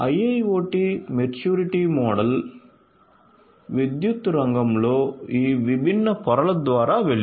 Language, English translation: Telugu, So, IIoT maturity model has gone through all of these different layers in the power sector